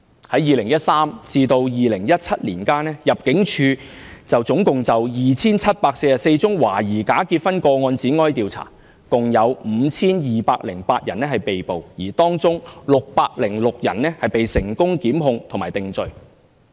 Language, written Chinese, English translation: Cantonese, 於2013年至2017年間，入境處共就 2,744 宗懷疑假結婚個案展開調查，共有 5,208 人被捕，而當中606人被成功檢控和定罪。, From 2013 to 2017 the Immigration Department investigated a total of 2 744 cases of suspected bogus marriages and a total of 5 208 people were arrested in which 606 were successfully prosecuted and convicted